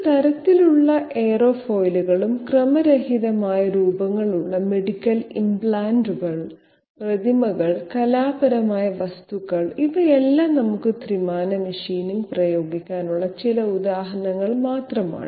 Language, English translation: Malayalam, Aerofoils that means of any type and medical implants which have irregular shapes, statues, artistic objects, these are just some of the examples where we might be having application of 3 dimensional machining